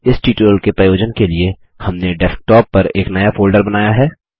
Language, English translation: Hindi, For the purposes of this tutorial: We have created a new folder on the Desktop